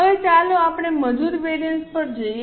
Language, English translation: Gujarati, Now, let us go to labour variances